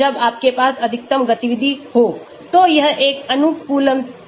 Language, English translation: Hindi, this is an optimum log p when you have the maximum activity